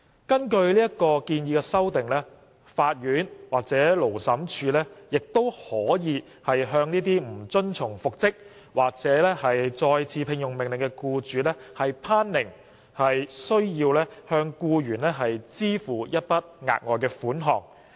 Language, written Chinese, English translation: Cantonese, 根據建議的修訂，法院或勞審處亦可向不遵從復職或再次聘用命令的僱主頒令須向僱員支付一筆額外款項。, Under the proposed amendments the court or Labour Tribunal may also order the employer to pay a further sum to the employee in the event of non - compliance with the reinstatement or re - engagement order